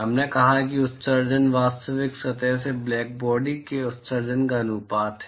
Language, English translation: Hindi, We said that the emissivity is the ratio of the emission from a real surface to that of the black body